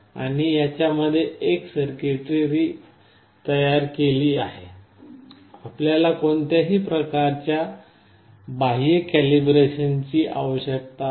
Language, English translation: Marathi, And this has all this circuitry built inside it, you do not need any kind of external calibration